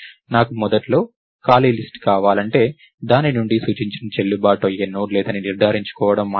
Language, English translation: Telugu, if I want an initially empty list, all its supposed to do is ensure that there is no valid node thats pointed to from it